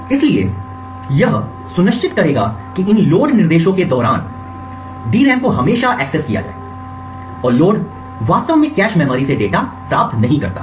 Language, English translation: Hindi, So this would ensure that the DRAMs are always accessed during these load instructions and the load does not actually obtain the data from the cache memories